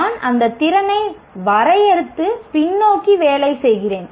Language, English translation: Tamil, I define that capability and work backwards